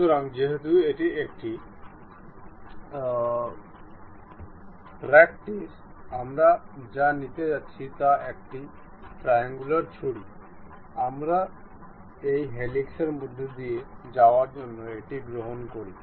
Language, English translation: Bengali, So, because it is a practice, we what we are going to take is a triangular knife, we take it pass via this helix